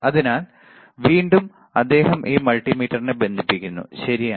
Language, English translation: Malayalam, So, again he is connecting this multimeter, right